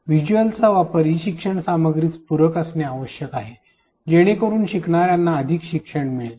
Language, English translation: Marathi, The usage of visuals must supplement the e learning content so, as to maximize learning for the learners